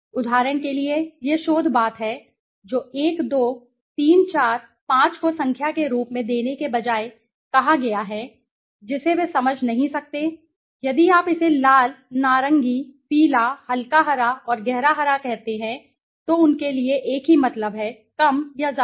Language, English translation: Hindi, so for example , this is the research thing which has been said, you know instead of giving 1, 2, 3, 4, 5 as numbers which they might not understand, if you give it red, orange, yellow, light green and dark green that means same to them, more or less